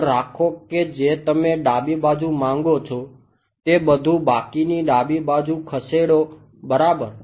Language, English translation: Gujarati, keep the term that you want on the left hand side move everything else to the left hand side ok